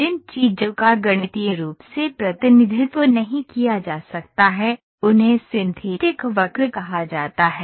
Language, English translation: Hindi, So, these things, which cannot be mathematically represented, are called as synthetic curves